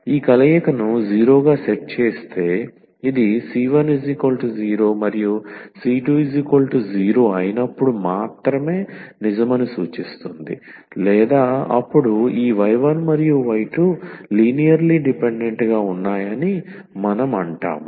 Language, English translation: Telugu, So, if this combination when set to 0 if this implies that or this is true only when c 1 is equal to 0 and c 2 is equal to 0, then we call that this y 1 and y 2 are linearly independent